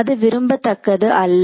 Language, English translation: Tamil, So, it is going to be desirable